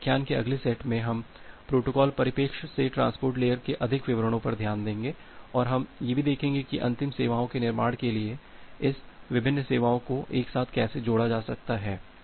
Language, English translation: Hindi, So, in the next set of lectures, we will look into more details of the transport layer from the protocol perspective, and also we look into that how this different services can be combined together to build up the final services